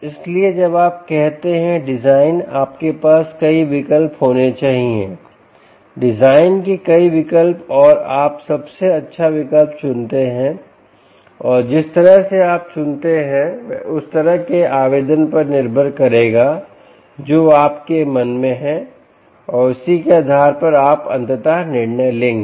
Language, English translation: Hindi, so when you say design, you must have many choices, many design choices, and you pick the best choice, and the choice, the way you pick, will depend on the kind of application that you have in mind and, based on that is what you would ultimately decide